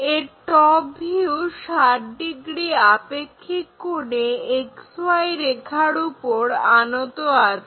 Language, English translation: Bengali, It is top view is again apparent angle 60 degrees inclined to XY line